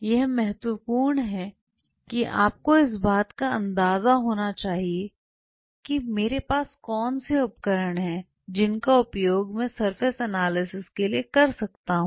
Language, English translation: Hindi, What is important is that you should have an idea that what all tools are there in my armory, which I can use to analyze surfaces